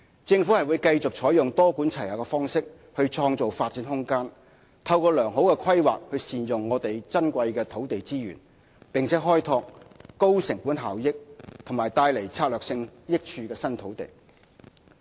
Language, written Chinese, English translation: Cantonese, 政府會繼續採用多管齊下的方式創造發展空間，透過良好的規劃善用我們珍貴的土地資源，並開拓高成本效益和帶來策略性益處的新土地。, The Government will continue to take a multi - pronged approach to create and develop space fully utilize our precious land resources through efficient planning and develop new land sites of high cost - effectiveness that will bring strategic benefits to society